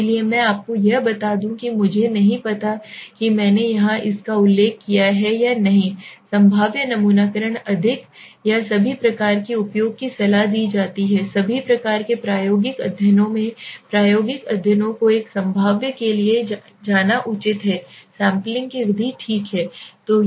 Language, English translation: Hindi, Therefore let me tell you this I do not know whether I have mentioned it here or not so the probabilistic sampling is more is much better to or more advisable to be used in all kind of experimental studies in all kind of experimental studies it is advisable to go for a probabilistic method of sampling okay